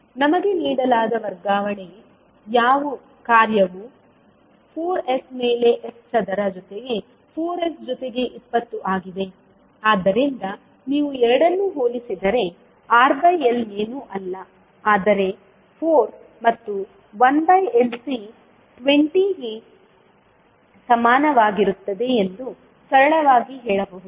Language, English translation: Kannada, The transfer function which is given to us is 4s upon s square plus 4s plus 20, so if you compare both of them you can simply say that R by L is nothing but equal to 4 and 1 by LC is equal to 20